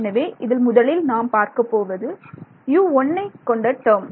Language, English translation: Tamil, So, the first term that I am going to get is let us say U 1 the term involving U 1